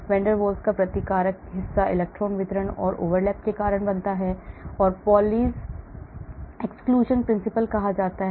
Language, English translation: Hindi, The repulsive part of van der Waals potential due to overlap of electron distribution, it is called Pauli’s exclusion principle